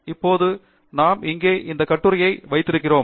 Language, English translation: Tamil, Now we have this article here